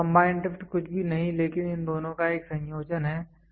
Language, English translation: Hindi, So, the combined drift is nothing, but a combination of these two